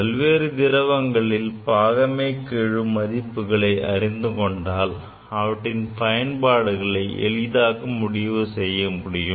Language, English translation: Tamil, Knowing the value of viscosity of different liquid, the applications of them are decided